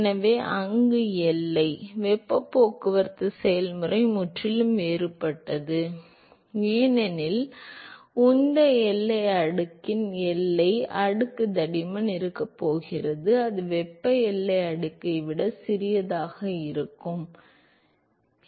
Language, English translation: Tamil, So, there the boundary, the heat transport process is completely different, because the boundary layer thickness of the momentum boundary layer is going to be, it is going to be smaller than the thermal boundary layer